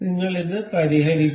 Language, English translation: Malayalam, We will fix this